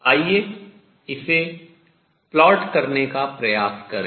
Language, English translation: Hindi, Let us try to plot it